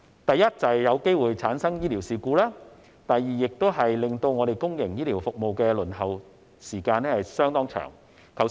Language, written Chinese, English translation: Cantonese, 第一，會有機會出現醫療事故；第二，會令公營醫療服務的輪候時間增長。, First there will be the risk of medical accidents and second the waiting time for public healthcare services will increase